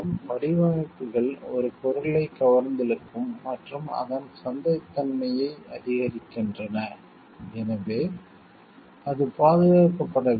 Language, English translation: Tamil, Designs make a product appealing and increase its marketability so it must be protected